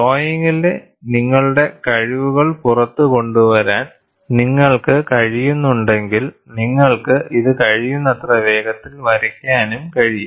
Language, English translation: Malayalam, If you are in a position to extrapolate your skills in drawing, you could also sketch this as closely as possible